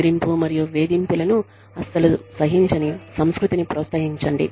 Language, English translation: Telugu, Promote a culture in which, bullying and harassment, are not tolerated at all